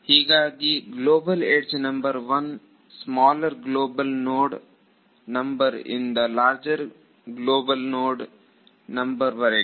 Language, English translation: Kannada, So, I can say that global edge number 1 is from smaller global node number to larger global node number